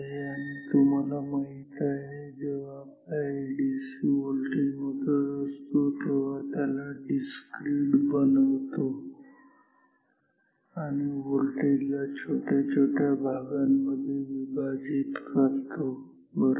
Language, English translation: Marathi, And you know when our ADC measures a voltage it discretizes or make or divides the range of voltage into small quantum right